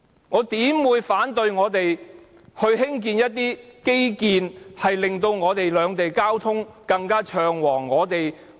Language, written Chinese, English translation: Cantonese, 我怎會反對我們興建一些令兩地交通更暢旺的基建？, How will I oppose the development of infrastructure to facilitate transport accessibility between the two places?